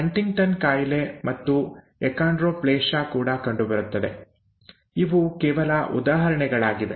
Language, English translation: Kannada, So are Huntington’s disease and Achondroplasia and so on and so forth; these are just examples